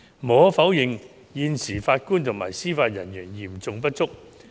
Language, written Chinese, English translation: Cantonese, 無可否認，現時法官及司法人員嚴重不足。, It is undeniable that there is a serious shortage of JJOs